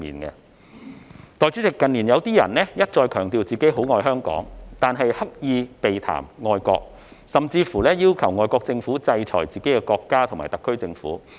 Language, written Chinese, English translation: Cantonese, 代理主席，近年有些人一再強調很愛香港，但卻刻意避談愛國，甚至要求外國政府制裁自己的國家及特區政府。, Deputy President in recent years some people have repeatedly highlighted their love for Hong Kong but deliberately avoided talking about loving the country . Worse still they have even urged the foreign governments to sanction their own country and the HKSAR Government